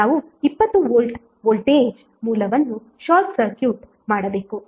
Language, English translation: Kannada, We have to short circuit the 20 volt voltage source